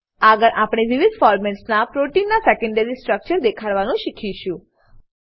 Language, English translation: Gujarati, Next, let us learn to display the secondary structure of the protein in various formats